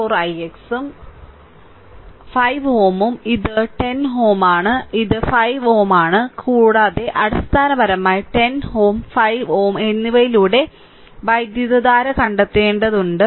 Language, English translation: Malayalam, 4 i x and i x 5 ohm this is 10 ohm, this is 5 ohm, and you have to find out the current through this right basically 10 ohm and 5 ohm both are in parallel right